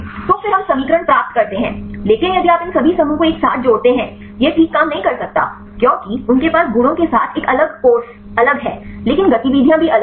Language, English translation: Hindi, So, then we derive the equations, but if you combine all these groups together; it may not work fine because they have a different course with a properties are different, but the activities also different